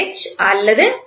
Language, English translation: Tamil, H or H